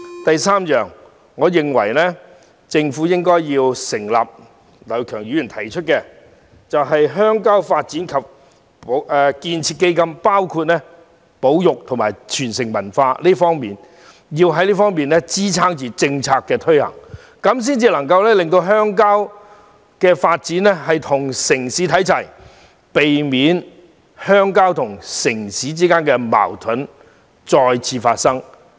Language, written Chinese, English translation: Cantonese, 第三，我認為政府應成立劉業強議員提出的鄉郊發展及建設基金，涵蓋保育及文化傳承事宜，藉以支撐政策的推行，這樣才能確保鄉郊發展與城市看齊，避免鄉郊與城市之間的矛盾再次發生。, Thirdly in order to support policy implementation I think the Government should pursue the proposal of Mr Kenneth LAU and set up a rural development and construction fund which covers nature conservation and cultural heritage . Only by doing so can it ensure that rural development will be made on a par with urban development thus preventing the recurrence of conflicts between rural and urban areas